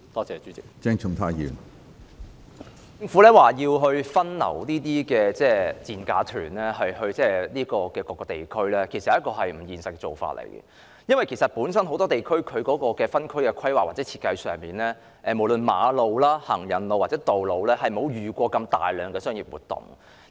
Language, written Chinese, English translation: Cantonese, 政府表示會把這些所謂"賤價團"分流到各個地區，其實這是不現實的做法，因為很多地區本身在分區規劃或設計上，無論是馬路、行人路或道路，均從未遇過如此大量的商業活動。, The Government indicates that it will divert the dirt - cheap - fare tour groups to various districts . Such an approach is in fact unrealistic . In many districts their roads and pavements are not planned and designed to accommodate business activities of such magnitude